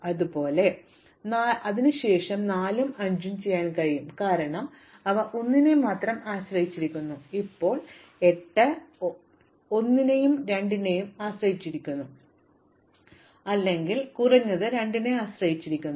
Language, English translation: Malayalam, Similarly, I can do 4 and 5 because they depend only on 1, now 8 depends on 1 and 2 I need the material or at least depends on 2